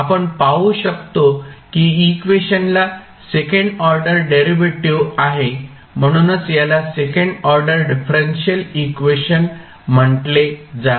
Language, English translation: Marathi, So, now if you see the equation as a second order derivative so that is why it is called as a second order differential equation